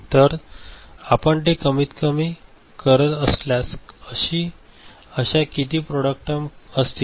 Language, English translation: Marathi, So, how many you know if you minimize it, how many such product terms will be there